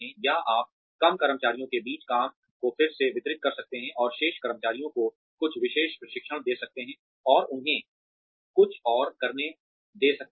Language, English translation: Hindi, Or, you could redistribute the work, among a fewer employees, and give the remaining employees, some specialized training and give them, something else to do